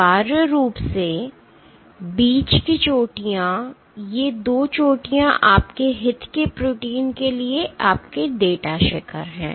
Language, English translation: Hindi, Essentially the middle peaks, these 2 peaks are your data peaks for your protein of interest